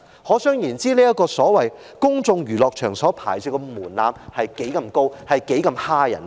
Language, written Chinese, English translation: Cantonese, 可想而知，這個公眾娛樂場所牌照的門檻之高，申請之難。, From this example we can see the high threshold and the difficulty for getting a licence for places of public entertainment